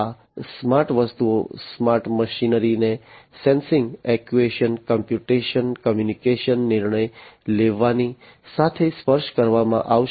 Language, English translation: Gujarati, So, these smart objects, the smart things, the smart machinery will be touched with sensing, actuation, computation, communication, decision making and so on